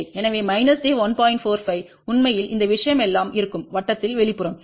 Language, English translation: Tamil, 45 actually all this thing will be at the outer of the circle